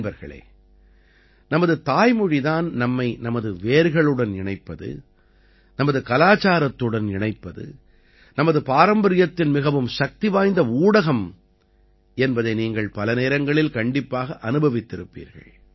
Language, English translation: Tamil, Friends, you must have often experienced one thing, in order to connect with the roots, to connect with our culture, our tradition, there's is a very powerful medium our mother tongue